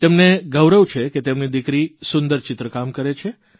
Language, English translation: Gujarati, She is proud of her daughter's excellent painting ability